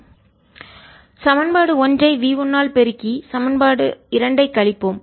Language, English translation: Tamil, let us multiply equation one by v one and subtract equation two